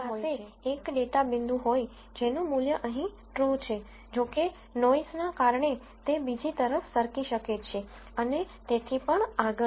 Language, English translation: Gujarati, So, I could have a data point, which is true value here; however, because of noise it could slip to the other side and so on